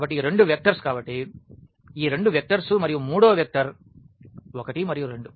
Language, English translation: Telugu, So, these two vectors so, these two vectors and the third vector is 1 and 2